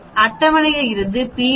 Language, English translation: Tamil, P from the table is 1